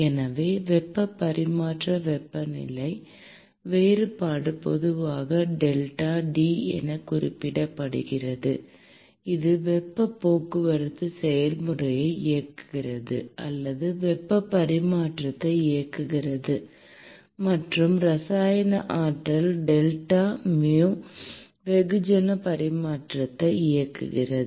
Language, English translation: Tamil, So, heat transfer temperature difference which is generally referred to as delta T it drives the heat transport process or it drives the heat transfer; and the chemical potential which is delta mu, drives the mass transfer